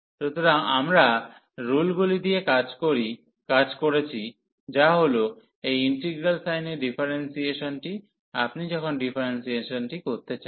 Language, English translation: Bengali, So, we are done with the rules, so which says that this differentiation under integral sign, so when you want to take the differentiation